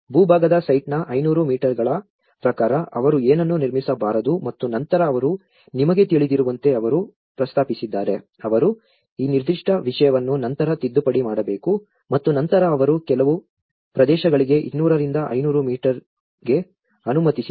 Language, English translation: Kannada, Like as per the 500 meters of the landward site they should not construct anything and later also they have actually proposed that you know, you have to they have amended this particular thing later on and then they allowed to some areas 200 to 500 meters you can still permit some constructions